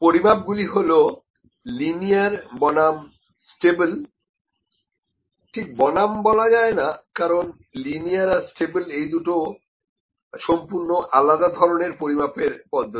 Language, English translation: Bengali, This measurement is linear versus stable or linear not is not versus linear and stable are to different kinds of measurements